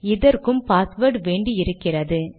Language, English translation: Tamil, And it also wants the password